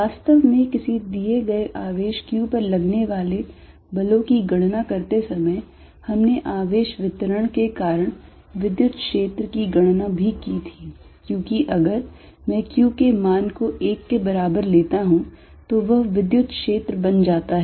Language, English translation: Hindi, In fact, while calculating forces on a given charge q, we had also calculated electric field due to a charge distribution, because if I take small q to be 1, it becomes the electric field